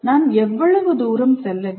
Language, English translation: Tamil, How far should I go